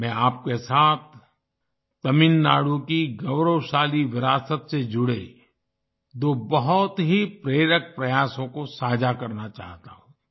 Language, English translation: Hindi, I would like to share with you two very inspiring endeavours related to the glorious heritage of Tamil Nadu